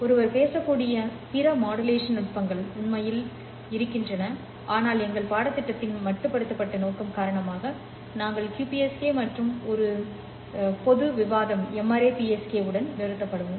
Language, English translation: Tamil, There are in fact a lot of other modulation techniques that one can talk about but due to the limited scope of our course we will stop with QPSK and a general discussion of M ARI PSK